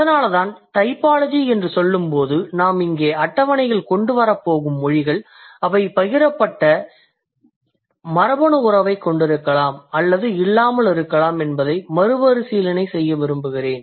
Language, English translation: Tamil, So, that is why my focus or I want to reiterate or I want to re emphasize that when I say typology, the languages that we are going to bring it on the table here, they may or may not stem from the shared, like they may not have a shared genetic relationship